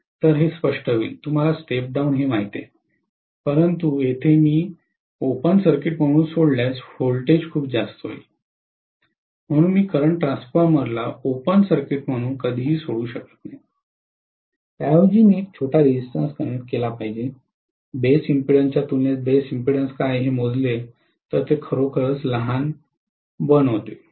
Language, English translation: Marathi, So it will be clearly, you know step down, but here if I leave it as an open circuit, the voltage induced will be enormously high, so I can never leave the current transformer as an open circuit instead I should connect a small resistance, how small is small that depends upon again the per unit, if you calculate what is the base impedance, compared to base impedance make it really, really small